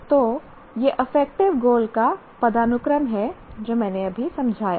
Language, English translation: Hindi, So, this is the hierarchy of affective goals that I have explained